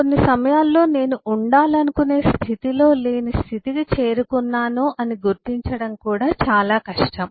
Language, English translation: Telugu, even at times it is very difficult to even identify that I have got into a state which is not where I want to be in